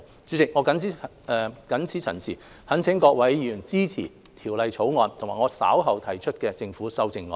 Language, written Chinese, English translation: Cantonese, 主席，我謹此陳辭，懇請各位議員支持《條例草案》及我稍後提出的政府修正案。, President with these remarks I implore Members to support the Bill and the Governments amendments which I will move later